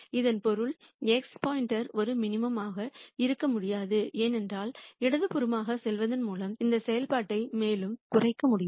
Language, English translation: Tamil, That basically means that x star cannot be a minimizer because I can further reduce this function by going to the left